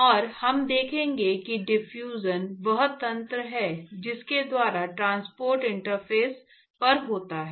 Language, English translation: Hindi, And in fact, we will see why diffusion is the mechanism by which the transport actually occurs at the interface